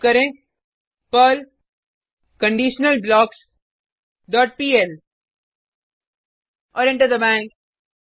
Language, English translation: Hindi, Type perl conditionalBlocks dot pl and press Enter